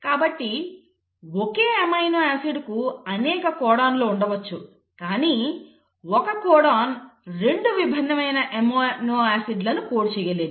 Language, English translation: Telugu, So you can have multiple codons for the same amino acid but a single codon cannot code for 2 different amino acids